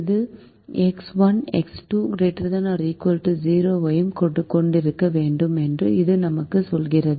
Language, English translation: Tamil, this tells us we also should have x one x two greater than or equal to zero